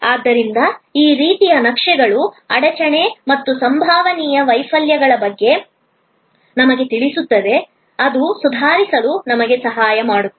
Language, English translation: Kannada, So, this kind of maps tells us about bottleneck as well as possible failures then that will help us to improve